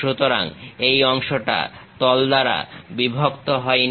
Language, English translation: Bengali, So, this part is not sliced by the plane